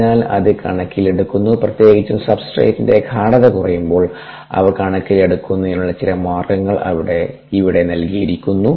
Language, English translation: Malayalam, so that is taken into account, especially when the substrate concentrations are low, and ah, some base of taking them into account, have be given here